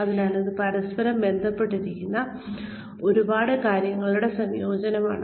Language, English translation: Malayalam, So, it is a combination of, a large number of things, that are interconnected